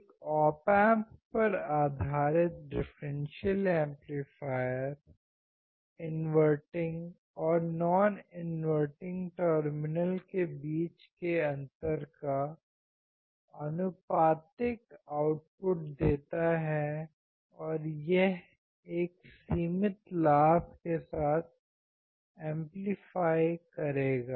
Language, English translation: Hindi, An op amp differential amplifier or op amp base differential amplifier gives an output proportional to the difference between the inverting and non inverting terminal and it will gain, it will amplify with a finite gain